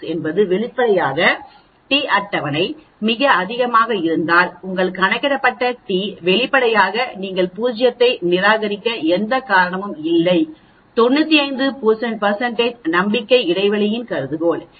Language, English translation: Tamil, 96 obviously, the table t is much higher, then your calculated t is obviously there is no reason for you to reject the null hypothesis at 95 % confidence interval